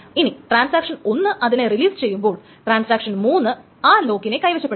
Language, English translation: Malayalam, As it happens that once transaction 1 releases it, transaction 3 grabs the lock